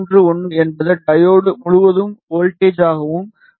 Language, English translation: Tamil, 4031 is the voltage across the diode and 13